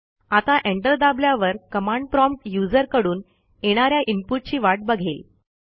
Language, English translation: Marathi, Now when we press enter the command waits for input from the user